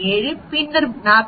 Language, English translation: Tamil, 7 then 41